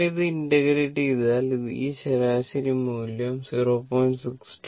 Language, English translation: Malayalam, So, in that case you are what you call the average value will be 0